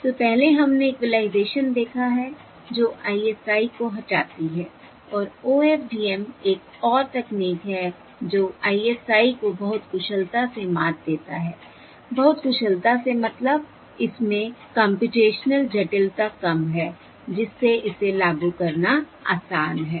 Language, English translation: Hindi, So previously, previously we have seen equalization overcomes ISI, and OFDM is another technology to overcome ISI even more efficiently, more efficiently, meaning Lower computational complexity so that it is easier to implement